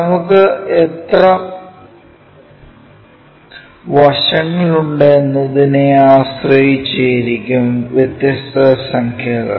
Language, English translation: Malayalam, Based on how many sides we have we have different numbers